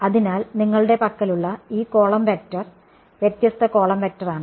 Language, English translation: Malayalam, So, this column vector that you have this is the column vector at all different z m’s right